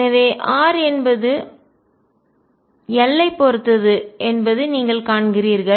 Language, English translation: Tamil, So, you see that r depends on l